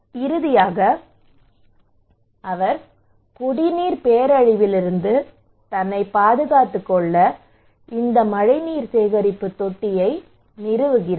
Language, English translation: Tamil, So finally he installed these rainwater harvesting to protect himself from drinking water disaster